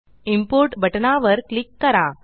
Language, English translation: Marathi, Now click on the Import button